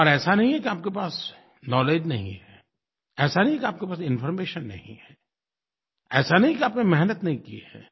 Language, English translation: Hindi, It is not that you do not have the knowledge, it is not that you do not have the information, and it is not that you have not worked hard